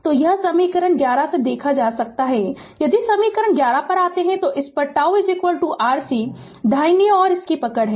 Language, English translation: Hindi, So, it can be observed from equation 11 if you come to equation 11 right hold on this is tau is equal to R C right